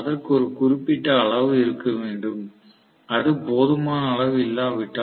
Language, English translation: Tamil, It has to have certain magnitude, unless it has sufficient magnitude